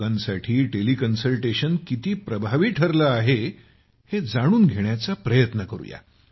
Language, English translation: Marathi, Let us try to know how effective Teleconsultation has been for the people